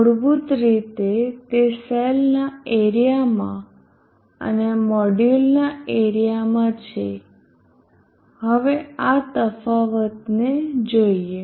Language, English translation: Gujarati, Basically it is in the area of the cell and the area of the module now let us look at this difference